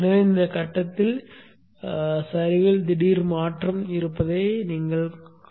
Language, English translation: Tamil, So this is a sudden change in the slope during this point